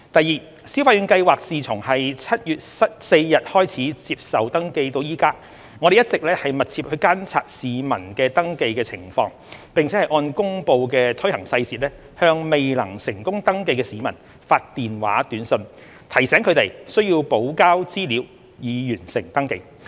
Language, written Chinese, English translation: Cantonese, 二消費券計劃自7月4日開始接受登記至今，我們一直密切監察市民的登記情況，並按公布的推行細節向未能成功登記的市民發電話短訊，提醒他們需補交資料以完成登記。, 2 Since the commencement of registration for the Scheme on 4 July we have been closely monitoring the progress of registration . In accordance with the announced implementation details of the Scheme SMSs were sent to registrants whose registrations were not successful reminding them to provide supplementary information to complete the registration process